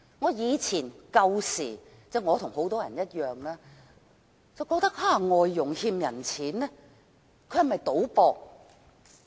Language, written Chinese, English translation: Cantonese, 我以前與很多人一樣，覺得外傭欠債，是否因為賭博？, In the past like many other people I wonder if foreign domestic helpers were in debt because of gambling